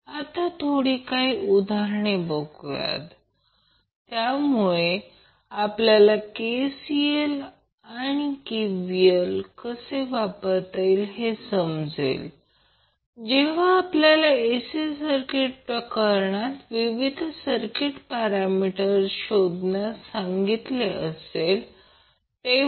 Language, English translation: Marathi, So let's see a few of the examples so that we can understand how we will utilize KCL and KVL when we are asked to find the various circuit parameters in case of AC circuit